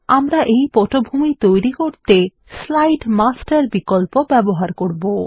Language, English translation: Bengali, We shall use the Slide Master option to create this background